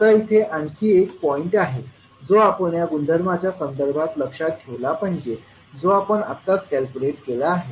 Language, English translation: Marathi, Now there is another point which we have to remember with respect to this property which we have just now calculated